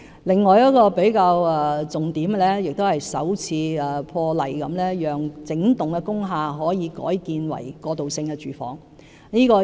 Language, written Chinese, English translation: Cantonese, 另外一個重點是，政府破例容許整幢工廈改建為過渡性房屋。, Another salient point is that the Government makes the unprecedented move of allowing the wholesale conversion of industrial buildings for transitional housing